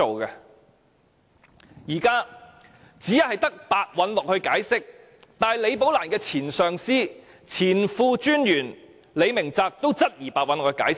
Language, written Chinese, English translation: Cantonese, 現時只有白韞六作出解釋，但連李寶蘭的前上司也質疑白韞六的解釋。, Simon PEH is so far the only person who has given an explanation for the matter but even the former supervisor of Rebecca LI has queried the explanation given by Simon PEH